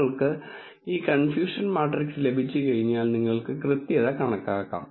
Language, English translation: Malayalam, Once you have this confusion matrix, you can calculate the accuracy